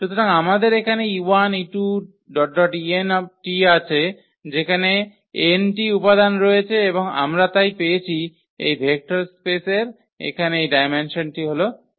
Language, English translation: Bengali, So, here we have e 1 e 2 e n there are n elements and we got therefore, this dimension here of this vector space is n